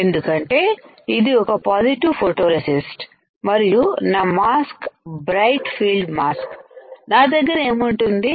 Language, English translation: Telugu, Since this is a positive photoresist and my mask is bright field mask what will I have